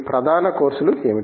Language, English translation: Telugu, What are the main courses